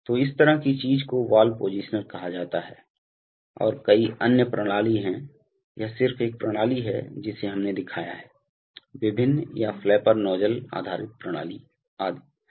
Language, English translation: Hindi, So such a thing is called a valve positioner and there are various other mechanisms, this is just one mechanism which we have shown, there are various or the flapper nozzle based mechanisms etc